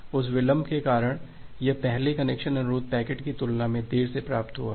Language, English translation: Hindi, Because of that delay it has received late compared to this first connection request packet